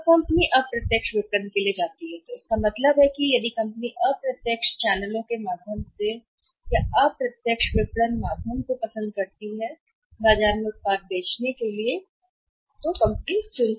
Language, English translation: Hindi, Now the company goes for the indirect marketing it means if the company prefers to sell the product in the market through indirect channels or through indirect marketing channels